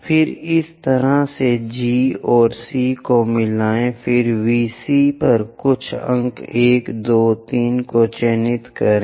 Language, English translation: Hindi, Then, join G and C in that way then, mark few points 1, 2, 3 on VC prime